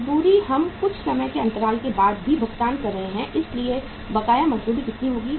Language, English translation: Hindi, Wages we are also paying after the lag of some time so outstanding wages will be how much